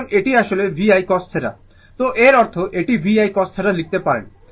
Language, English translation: Bengali, So, this is actually V I cos theta, so that means, this one we can write V I cos theta right